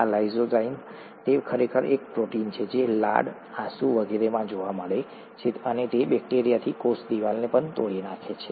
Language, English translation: Gujarati, This lysozyme, itÕs actually a protein that is found in saliva, tears and so on; and it also breaks down the cell wall of bacteria